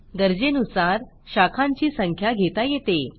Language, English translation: Marathi, There can be as many branches as required